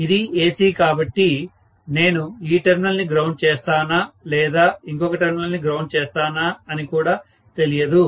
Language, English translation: Telugu, It is after all AC, so I do not even know whether I am going to ground this terminal or this terminal, I do not know